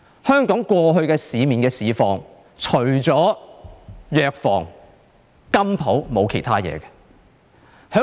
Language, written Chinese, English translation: Cantonese, 香港過去的市況，除了藥房和金鋪便沒有其他東西了。, In the past we used to see pharmacies and goldsmith shops on the streets of Hong Kong and nothing else